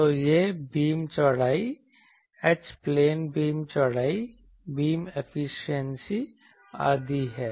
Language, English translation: Hindi, So, this is the beam width, H plane beam width, this is beam efficiency etc